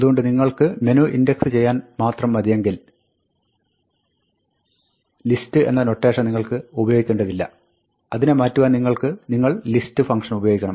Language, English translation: Malayalam, So, you do not need to use the list notation, if you just wanted to index menu, but if you want to use it as a list, you must use the list function to convert it